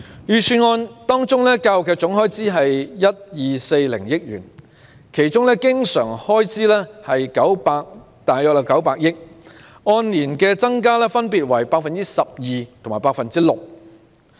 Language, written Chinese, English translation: Cantonese, 預算案的教育總開支是 1,240 億元，經常開支約為900億元，按年增幅分別為 12% 及 6%。, The total expenditure on education in the Budget is 124 billion and the recurrent expenditure is about 90 billion and the year - on - year increase is 12 % and 6 % respectively